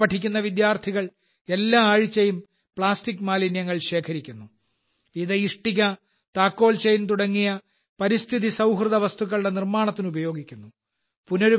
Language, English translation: Malayalam, The students studying here collect plastic waste every week, which is used in making items like ecofriendly bricks and key chains